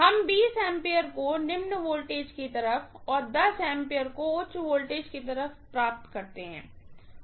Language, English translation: Hindi, We got 20 amperes as the current on the low voltage side and on the high voltage side it was only 10 amperes